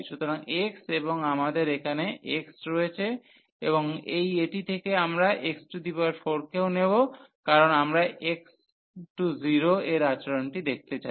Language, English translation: Bengali, So, tan inverse x and we have x here and this x 4 also we will take out of this, because we want to see the behavior as x approaches to infinity